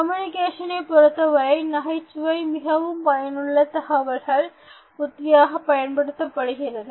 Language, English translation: Tamil, In communication, humour can be used as a very effective communication strategy